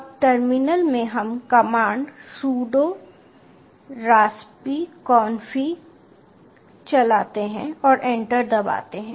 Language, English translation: Hindi, now in the terminal we run the command sudo raspi config and press enter